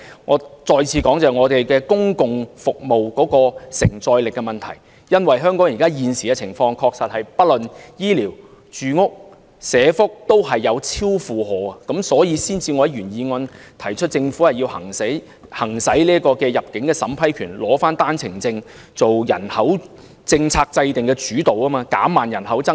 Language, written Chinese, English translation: Cantonese, 我要再次說明公共服務的承載力問題，因為香港現時的情況的確是無論醫療、住屋和社福，均已出現超負荷的情況，所以我才會在原議案提出政府要行使入境審批權，取回單程證制度下制訂人口政策的主導權，藉以減慢人口增長。, I have to once again draw Members attention to the issue of the carrying capacity of public services because the increase in local population has already created a heavy burden on various public services and facilities such as health care services housing and social welfare . This is the reason why I have proposed in my original motion that the Government should exercise the power to vet and approve entry for immigration and take back the initiative in formulating population policy under the OWP system so as to slow down the pace of population growth